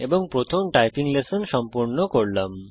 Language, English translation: Bengali, And completed our first typing lesson